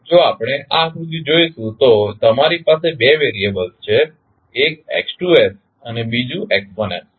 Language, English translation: Gujarati, If we see this figure you have two variables one is x2s and another is x1s